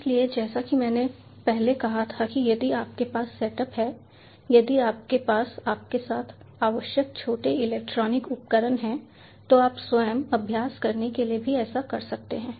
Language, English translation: Hindi, so, as i said before that if you have the set up e if you have the requisite ah small electronic equipments with you, then you can also do the same to practice yourself